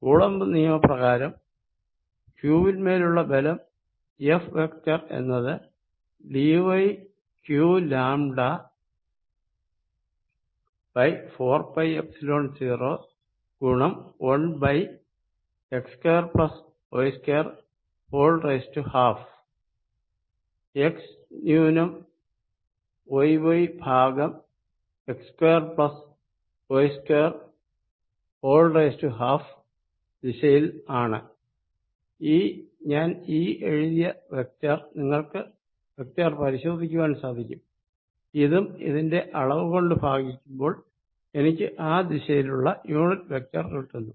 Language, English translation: Malayalam, So, that by coulomb's law the force on charge q F vector is going to be equal to lambda d y is the charge in this element here, q over 4 pi Epsilon 0 1 over x square plus y square in the direction of x minus y y over x square plus y square raise to 1 half, where this vector that I have written here, you can check is this vector and that divided by the magnitude gives me the unit vector in that direction, this indeed is the force direction